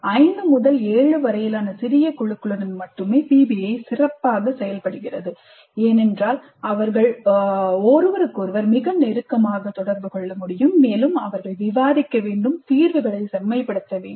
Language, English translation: Tamil, PBI works best only with small groups about 5 to 7 because they need to interact very closely with each other and they need to discuss and they need to refine the solution